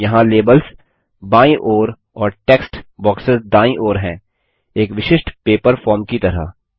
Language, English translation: Hindi, Here the labels are to the left and the text boxes on the right, just like a typical paper form